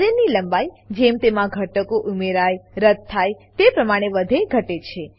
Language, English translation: Gujarati, Array length expands/shrinks as and when elements are added/removed from it